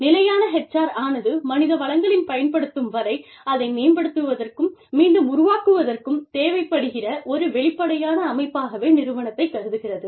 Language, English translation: Tamil, Sustainable HR assumes, that an organization is an open system, that needs to develop and regenerate, its human resources at least, as far as, it consumes them